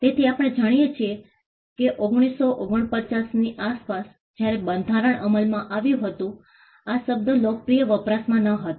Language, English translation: Gujarati, So, we know that around 1949 the time when the constitution was coming into effect; the term was not in popular usage